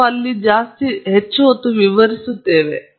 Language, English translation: Kannada, So, we will now expand on this a bit more